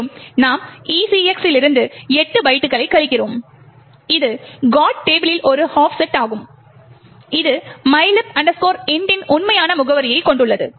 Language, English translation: Tamil, Further we subtract 8 bytes from ECX which is an offset in the GOT table which contains the actual address of mylib int